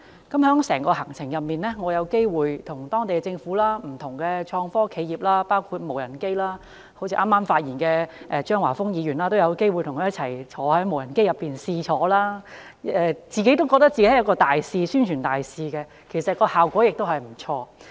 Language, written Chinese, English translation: Cantonese, 在整個行程中，我有機會與當地政府、不同創科企業交流，我亦嘗試與剛剛發言的張華峰議員一同乘坐無人機，讓我覺得自己也成為一位宣傳大使，其實效果也不錯。, During the whole journey I had the opportunity to exchange views with the municipal governments and different innovation and technology IT enterprises and I also had a ride with Mr Christopher CHEUNG who just spoke in a passenger drone . All these made me feel that I had become an ambassador and the effect was quite desirable